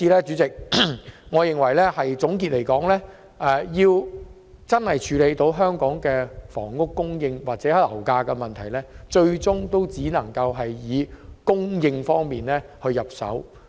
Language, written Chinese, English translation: Cantonese, 主席，總結來說，我認為要真正處理香港房屋供應或樓價的問題，最終只能從土地供應方面着手。, President in the final analysis the problem of housing supply or property prices in Hong Kong can only be approached and truly tackled from land supply